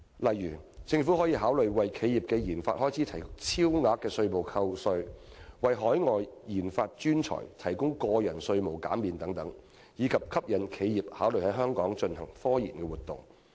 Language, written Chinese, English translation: Cantonese, 例如，政府可考慮為企業的研發開支提供超額稅務扣減、為海外科研專才提供個人稅務減免等，以吸引企業考慮在香港進行科研活動。, For instance the Government can consider providing super tax reductions for research and development expenditures of corporations or personal income tax concessions for overseas scientific research personnel so as to attract enterprises to consider conducting scientific researches in Hong Kong